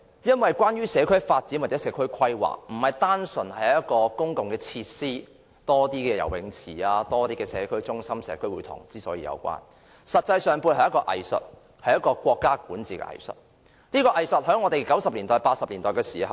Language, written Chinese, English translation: Cantonese, 因為社區發展和社區規劃並非單純是增加公共設施，多建一些游泳池、社區中心和社區會堂等，而實際上，其背後是一門藝術，是管治的藝術，這藝術在八九十年代時最為明顯。, It is because community development and community planning are not simply about increasing public facilities building more swimming pools community centres and community halls etc . Actually an art of governance is involved and such art was most evident in the 1980s and 1990s